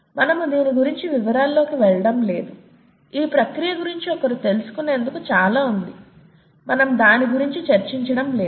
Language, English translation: Telugu, We are not getting into details of this, is a lot that can, that one can know about this process, we are not getting into this